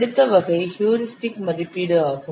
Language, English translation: Tamil, So next category category is heuristic estimation